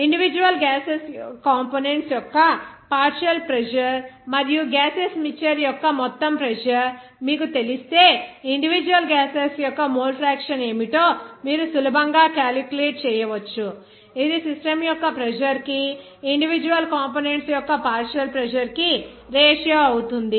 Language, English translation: Telugu, If you know the partial pressure of individual gaseous components and also total pressure of the gaseous mixture, then you can easily calculate what should be the mole fraction of individual gases that will be actually the ratio of the partial pressure of individual components to the total pressure of the system